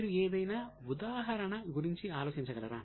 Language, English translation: Telugu, Can you think of any example